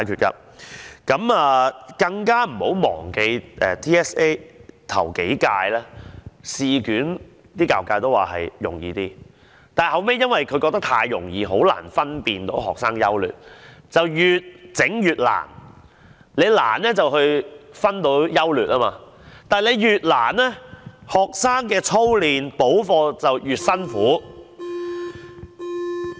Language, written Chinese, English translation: Cantonese, 大家更別忘記，教育界認為頭幾屆 TSA 的試卷比較容易，但後來因為太容易了，以致難以分辨學生優劣，於是便越出越難，考題越難便可以分出優劣，但考題越難便令到學生的操練和補課越辛苦。, We should not forget another thing that is the education sector considers that as the papers of the first few TSA examinations are too easy it is difficult to assess the academic levels of students . As a result the exam questions are becoming more and more difficult as they think the more difficult the papers the easier for them to assess the levels of students . But as the exam questions are getting increasingly difficult school children have to bear a heavier burden of drills and additional classes